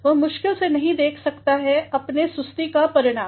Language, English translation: Hindi, He could not hardly foresee the result of his lethargy